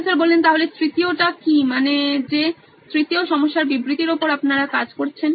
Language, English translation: Bengali, So what’s the third I mean third problem statement that you are working on